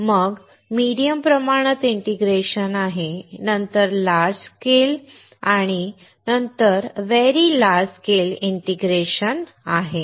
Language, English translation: Marathi, Then there is medium scale integration, then large scale integration and then very large scale integration